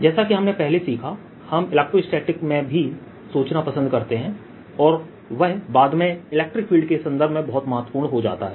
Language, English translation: Hindi, as we learnt earlier, we also like to think in electrostatics and this becomes very important later in terms of electric field